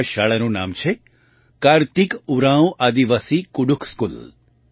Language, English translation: Gujarati, The name of this school is, 'Karthik Oraon Aadivasi Kudukh School'